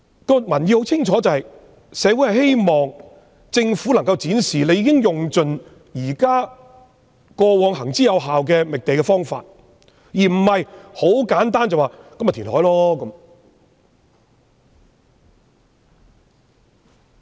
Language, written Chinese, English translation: Cantonese, 社會人士認為，政府理應盡用過往行之有效的覓地方法，而不是簡單一句便推行填海計劃。, In the view of members of the community the Government should exhaust the methods previously used to identify sites instead of simply telling the public that it would implement the reclamation project